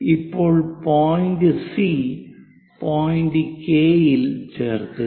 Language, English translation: Malayalam, Now join C and point K